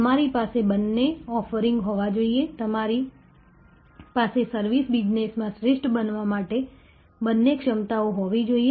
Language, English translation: Gujarati, We must have both offerings, we must have both capabilities to excel in the service business